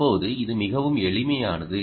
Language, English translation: Tamil, now it's quite simple, right